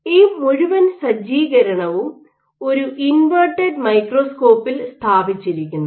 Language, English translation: Malayalam, This whole setup is mounted on an inverted microscope